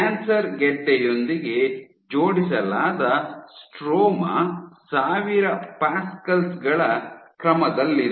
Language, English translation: Kannada, The stroma which is attached to the tumor is order 1000 pascals